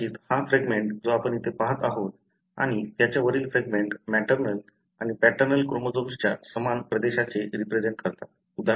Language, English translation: Marathi, Perhaps this fragment that you are seeing here and the one above that represent the same region of the maternal and paternal chromosome